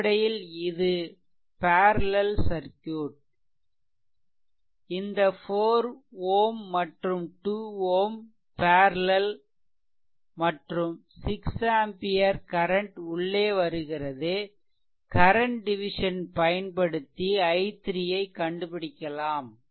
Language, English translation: Tamil, So, this is basically a parallel circuit, this 4 ohm and this 2 ohm there are in parallel right and 6 ampere current is entering here this 4 ohm and 2 ohm are in parallel, then what will be then if current division method what will be i 3